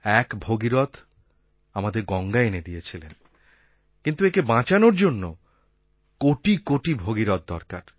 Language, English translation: Bengali, Bhagirath did bring down the river Ganga for us, but to save it, we need crores of Bhagiraths